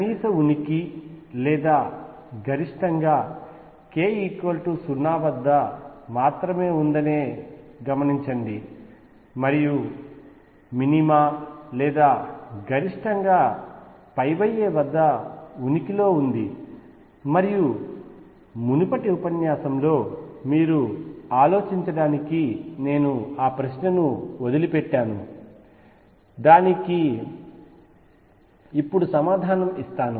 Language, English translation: Telugu, Notice that the minimum exists or maximum exists only at k equals 0 and minima or maxima exists at pi by a, and I left that question for you to think about in the previous lecture let me answer that now